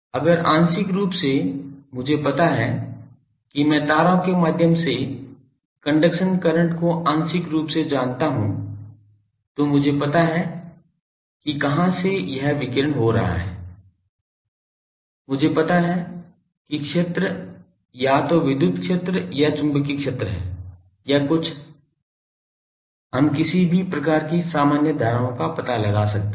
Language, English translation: Hindi, If I know suppose partly I know the conduction current through wires partly I know that aperture from where it is radiating, I know the field either electric field or magnetic field or something we can find out some sort of generalised currents